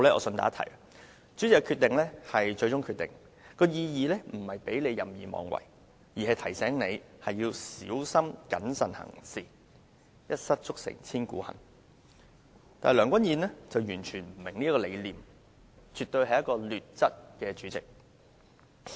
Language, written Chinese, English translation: Cantonese, 順帶一提，主席的決定為最終決定的意義，並不在於讓他任意妄為，而是要提醒他在作出裁決時必須小心謹慎，一失足成千古恨，但梁君彥主席完全不明白，絕對是一位"劣質"的主席。, By the way the Presidents decision shall be final but it does not mean he is empowered to act arbitrarily . On the contrary it is so written to remind him that he must exercise prudence in making rulings as any one single slip may bring lasting regret . Yet President Andrew LEUNG has totally failed to recognize this and he is definitely a President of poor quality